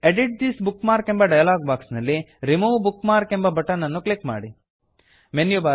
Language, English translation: Kannada, From the Edit This Bookmark dialog box, click the Remove Bookmark button